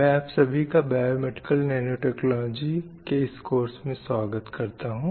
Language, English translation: Hindi, I welcome you all to this course on biomedical nanotechnology